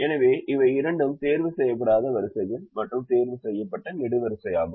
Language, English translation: Tamil, so these are the two unticked rows and ticked column